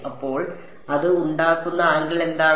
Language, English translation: Malayalam, So, what is the angle it makes